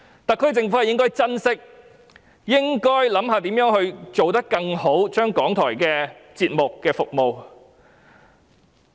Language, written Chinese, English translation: Cantonese, 特區政府理應珍惜，並思考如何提升港台的節目質素和服務。, The SAR Government should treasure it and think about ways to enhance its programme quality and services